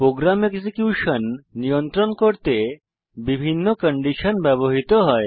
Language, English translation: Bengali, Different conditions are used to control program execution